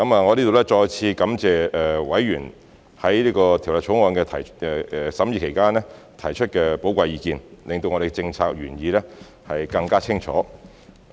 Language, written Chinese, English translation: Cantonese, 我在這裏再次感謝委員在《2021年公職條例草案》的審議期間提出的寶貴意見，令我們的政策原意更清楚。, I would hereby thank members again for their valuable views expressed during the course of deliberation of the Public Offices Bill 2021 which have clarified our policy intent